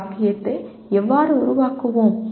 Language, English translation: Tamil, How do you make a sentence